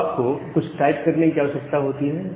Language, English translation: Hindi, So, you need to type something